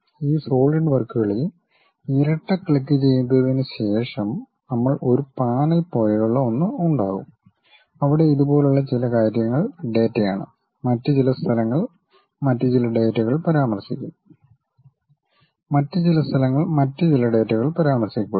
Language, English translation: Malayalam, After double clicking these Solidworks we will have something like a panel, where some of the things mentions like these are the data, there will be some other places some other data mentions, some other locations some other data will be mentioned